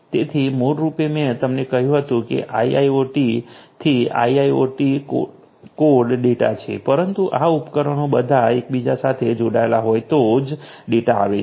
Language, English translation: Gujarati, So, basically you know earlier I told you that IIoT code to IIoT is data, but the data has to come only if these devices are all interconnected right